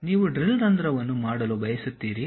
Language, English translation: Kannada, You just want to make a drill, hole